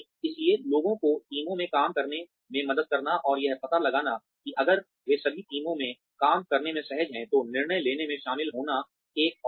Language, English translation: Hindi, So, helping people work in teams, and finding out, why if at all they are uncomfortable with working in teams, involvement in decision making, is another one